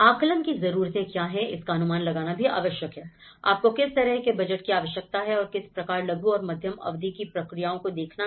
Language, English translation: Hindi, And also, what are the needs assessment, what kind of budget you need right and one has to look at the short and medium term process